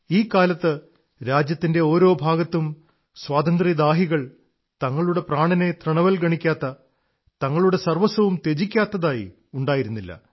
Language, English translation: Malayalam, During that period, there wasn't any corner of the country where revolutionaries for independence did not lay down their lives or sacrificed their all for the country